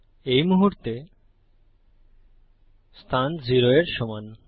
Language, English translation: Bengali, At the moment, position is equal to 0